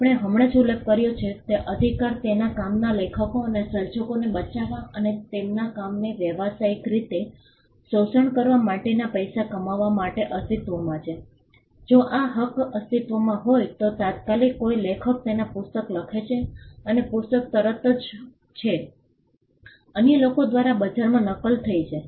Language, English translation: Gujarati, The right we just mentioned exist to protect the authors and creators of the work to exploit and to make money out of their work to commercially exploit their work, what happens if this right then exist for instant an author writes her book and the book is immediately copied by others in the market